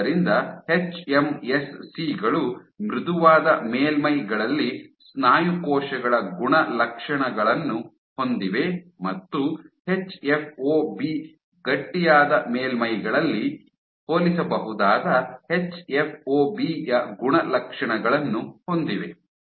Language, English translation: Kannada, So, hMSCs they possess properties of muscle cells on softer surfaces and possessed properties of hFOB comparable to that of hFOB stiffer surfaces